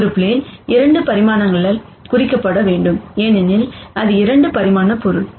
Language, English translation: Tamil, A plane has to be represented by 2 dimensions, because it is a 2 dimensional object